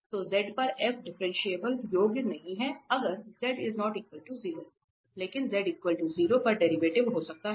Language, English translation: Hindi, So, f is not differentiable at z, if z is not equal to 0, but may have derivative at z equal to 0